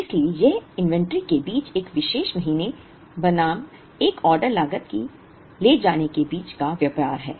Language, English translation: Hindi, So, it is a tradeoff between the inventory carrying cost of a particular month versus one order cost